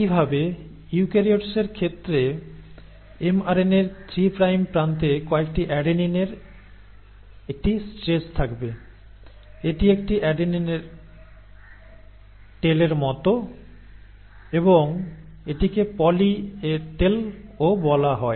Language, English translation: Bengali, Similarly the 3 prime end of the mRNA in case of eukaryotes will have a stretch of a few adenines, this is like an adenine tail and this is also called as a poly A tail